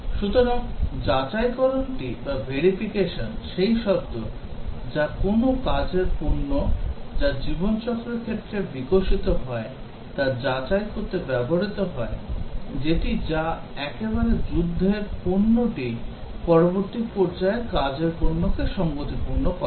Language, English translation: Bengali, So, verification is the term that is used to check that whether a work product, as it gets developed in the life cycle whether once at one stage the war product conforms to the work product in the next stage